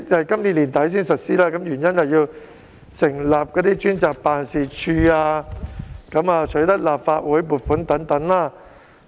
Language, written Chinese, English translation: Cantonese, 今年年底實施，原因是要成立專責辦事處、取得立法會撥款等。, The reason is that the Government needs time to set up a dedicated reimbursement office and obtain the necessary funding from the Legislative Council